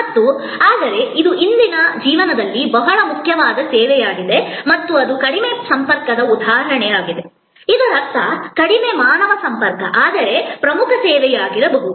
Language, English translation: Kannada, And, but it is a very important service in the life of today and that is an example of low contact; that means, low human contact, but could be important service